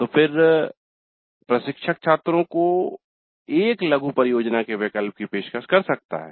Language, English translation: Hindi, Then the instructor may offer the choice of a mini project to the students